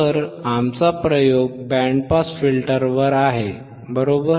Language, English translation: Marathi, So, our experiment is on band pass filter, right